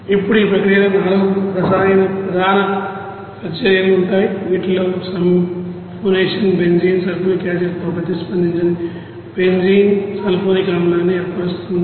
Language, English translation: Telugu, Now in this case the process involves 4 major chemical reactions, whose as sulphonation where benzene is reacted with sulfuric acid to form benzene sulphonic acid